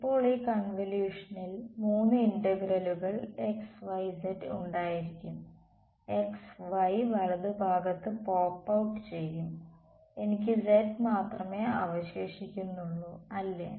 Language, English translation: Malayalam, Now, off these when I this convolution will have 3 integrals xyz; x y will pop out right I will only be left with z right